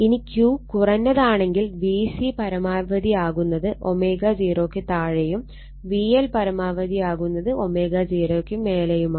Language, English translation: Malayalam, So, with low Q, V C maximum occurs below omega 0, and V L maximum occurs above omega 0